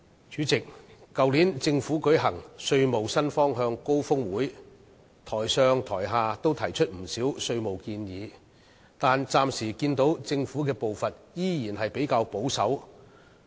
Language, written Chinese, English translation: Cantonese, 主席，在政府去年舉行稅務新方向高峰會時，台上台下也提出了不少稅務建議，但我暫時看到政府的步伐仍然較為保守。, Chairman at the Summit on New Directions for Taxation held by the Government last year many proposals on taxation had been put forth on the stage and from the floor yet I notice that the Government is still taking a relatively conservative pace so far